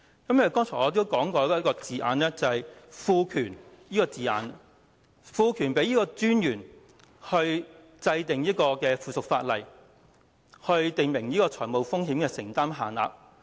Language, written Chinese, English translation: Cantonese, 正如我剛才提到"賦權"這個字眼，"賦權金融管理專員制定附屬法例，訂明與認可機構有關的財務風險承擔限度"。, One example is the expression confer a general power I mentioned a moment ago as in confer a general power on the Monetary Authority to make rules prescribing limits on exposures incurred by authorized institutions